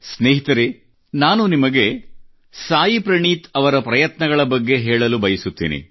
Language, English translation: Kannada, Friends, I want to tell you about the efforts of Saayee Praneeth ji